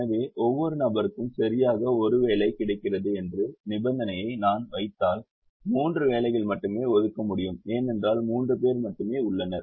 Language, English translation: Tamil, so if we put a condition that each person gets exactly one job, only three jobs can be assigned because only three people are there